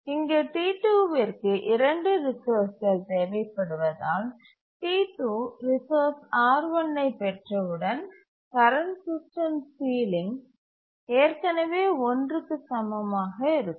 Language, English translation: Tamil, So, once T2 gets the resource R1, the current system ceiling will be already equal to one